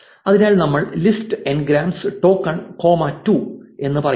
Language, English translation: Malayalam, So, we say list ngrams tokens comma 2